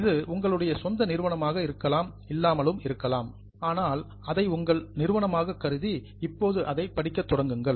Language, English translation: Tamil, Your own means you may not be owning it but consider it as your company and start studying it from now